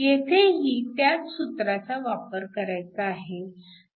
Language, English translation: Marathi, It is a same application of the formula